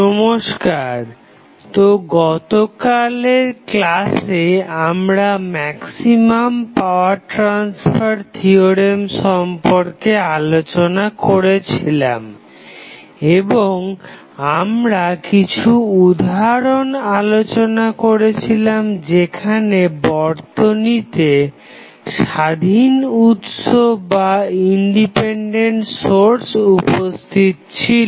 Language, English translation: Bengali, So, in yesterday's class we discussed about the maximum power transfer theorem and we discuss few of the examples when independent sources were available in the circuit